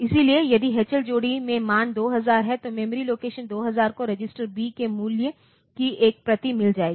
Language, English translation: Hindi, So, if H L pair contains the value 2000, then the memory location 2000 will get a copy of the value of register B